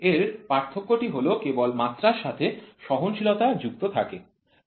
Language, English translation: Bengali, It is only the tolerance which is attached to the dimension, ok